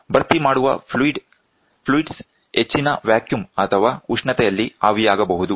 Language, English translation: Kannada, The filling fluid may vaporize at high vacuum or temperature